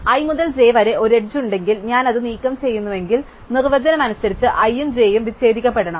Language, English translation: Malayalam, So, if there is an edge from i to j and I remove it, then by definition this component containing i and component containing j must get disconnected